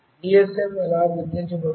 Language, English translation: Telugu, How a GSM is identified